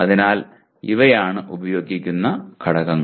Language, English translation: Malayalam, So those are the words used